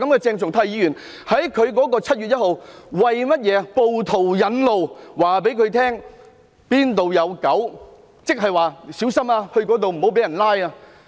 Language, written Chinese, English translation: Cantonese, 鄭松泰議員在7月1日為暴徒引路，告訴暴徒哪裏有"狗"，意思是"到這裏要小心，不要被拘捕"。, On 1 July Dr CHENG Chung - tai led the way for rioters telling them where the dogs were meaning that you have to be careful here and do not get arrested